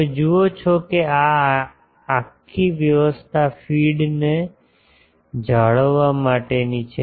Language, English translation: Gujarati, You see this whole arrangement is to maintain the feed